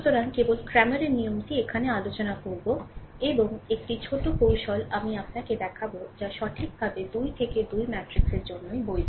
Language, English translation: Bengali, So, just cramers rule we will discuss here, and one small technique I will show you which is valid only for 3 into 3 matrix, right